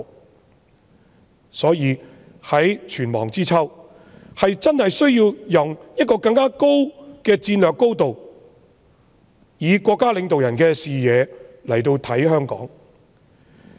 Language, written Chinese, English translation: Cantonese, 因此，際此存亡之秋，真的需要從更高的戰略高度，以國家領導人的視野來審視香港的情況。, Therefore at this moment of life and death it is really necessary to examine the situation in Hong Kong from a higher strategic level and from the perspective of state leaders